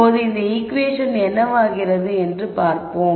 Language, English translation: Tamil, So, now, let us see what this equation becomes